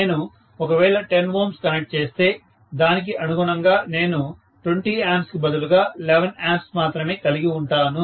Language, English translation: Telugu, If I connect 10 ohms, then correspondingly I will have 11 amperes only instead of 20 amperes